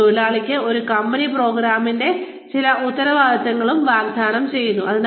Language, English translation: Malayalam, It also offers the worker, some responsibility for a company program